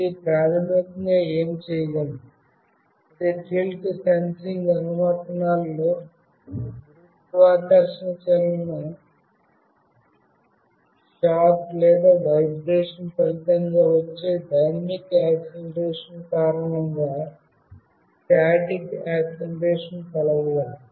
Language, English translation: Telugu, What it can do basically it can measure the static acceleration due to gravity in tilt sensing applications as well as dynamic acceleration resulting from motion, shock or vibration